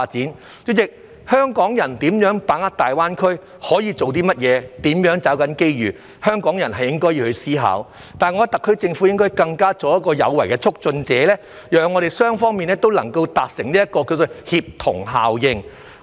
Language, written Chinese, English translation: Cantonese, 代理主席，對於如何把握大灣區機遇、可以做些甚麼、如何抓緊機遇，是香港人應該思考的，但我認為特區政府亦應作有為的促進者，讓雙方達成協同效應。, Deputy President Hong Kong people should think about how to grasp the opportunities brought about by the development of GBA what can be done and how to seize such opportunities . However I think the SAR Government should also act as a good facilitator so that both sides can achieve synergy